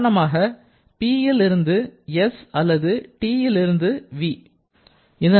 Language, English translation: Tamil, Let us move from this, from P to s, similarly from T to v